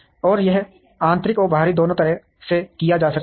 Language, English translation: Hindi, And this can be done both internally and externally